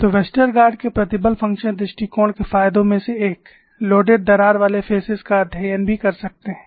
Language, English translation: Hindi, So, one of the advantages of the Westergaard's stress function approach is, one can also steady loaded crack phases